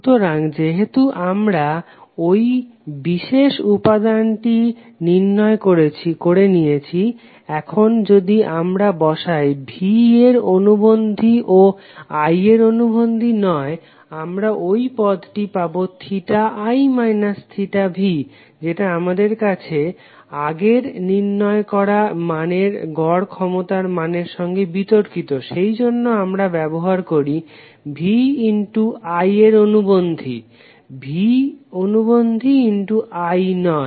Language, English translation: Bengali, So since we already have that particular quantity derived if we put V as a conjugate and not I is a conjugate we will get this term as theta I minus theta v which would be contradictory to what we derived in previous case for the average power that why we use VI conjugate not V conjugate I